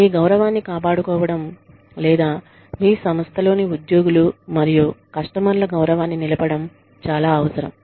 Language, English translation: Telugu, It is very essential to maintain the dignity, or to ensure the dignity of the employees, and the customers in your organization